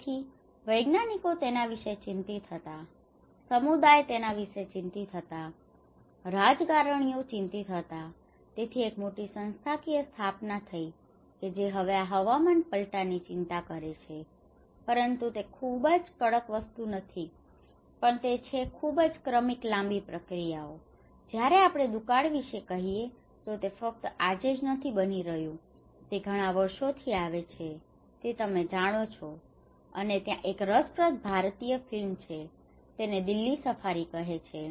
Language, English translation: Gujarati, So, the scientists were worried about it, the communities were worried about it, the politicians were worried about it so, there is a big institutional set up which is now concerned about this climate change but it is not a very drastic thing but it is coming in a very gradual process long when we say about drought it is not just today it is happening, it is coming from years and years you know, and there is one interesting film when the Indian film it is called Delhi Safari